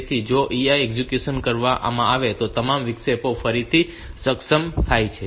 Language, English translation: Gujarati, So, if the EI is executed all the interrupts get enabled again